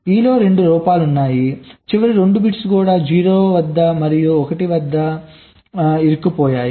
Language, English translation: Telugu, e in e, both faults are there, the last two bits: this is e stuck at zero, this is e stuck at one